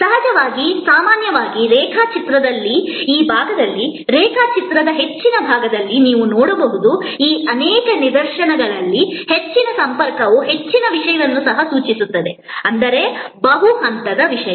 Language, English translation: Kannada, Of course, usually in many of these instances which you see on this side of the diagram, the high side of the diagram, the high contact may also denote high content; that means multi layered content